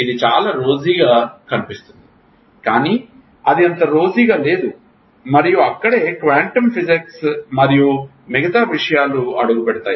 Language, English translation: Telugu, It is appears very rosy, but it is not so rosy and that is where quantum physics and rest of the things have stepped in